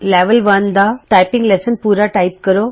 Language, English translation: Punjabi, Complete the typing lesson in level 1